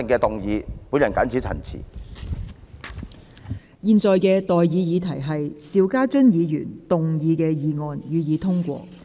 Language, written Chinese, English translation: Cantonese, 我現在向各位提出的待議議題是：邵家臻議員動議的議案，予以通過。, I now propose the question to you and that is That the motion moved by Mr SHIU Ka - chun be passed